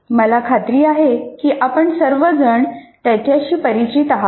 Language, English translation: Marathi, And I'm sure all of you are familiar with